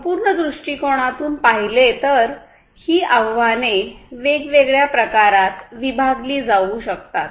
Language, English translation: Marathi, So, from a holistic viewpoint, the challenges can be classified into different types